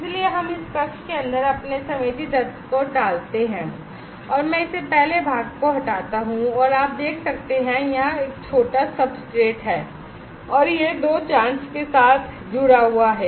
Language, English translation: Hindi, So, we put our sensing element inside this chamber and I can just take it off the first part and you can see that there is a small substrate here and this is connected with two probe